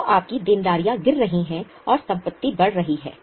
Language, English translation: Hindi, So, your liabilities are falling, assets are rising